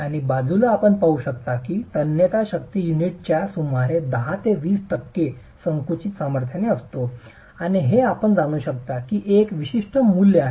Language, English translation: Marathi, And on the side lines you can see that the tensile strength is roughly about 10 to 20% of the compressive strength of the unit and that's a typical value that you can go with